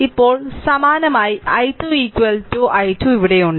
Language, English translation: Malayalam, Now, similarly i 2 is equal to i 2 is here